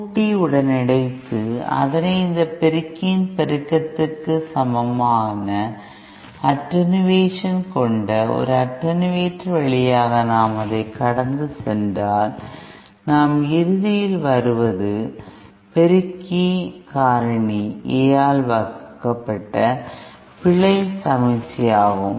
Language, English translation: Tamil, And if that is also you know while combining in this summer, if we pass it through an attenuator having an attenuation equal to the amplification of this amplifier, then what we ultimately get here is the error signal divided by the amplification factor A